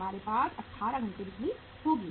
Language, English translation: Hindi, We will have the power for 18 hours